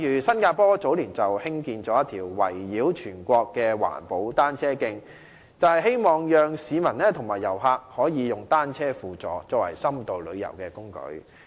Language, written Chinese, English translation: Cantonese, 新加坡早年興建了一條圍繞全國的環保單車徑，便是希望讓市民和遊客可以單車輔助，作為深度旅遊的工具。, The construction of a green cycle track around the entire country of Singapore in earlier years was meant to encourage members of the public and tourists to make bicycles a supplementary mode of transport for the purpose of in - depth tourism